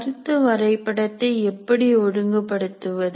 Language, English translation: Tamil, Now how do we organize the concept map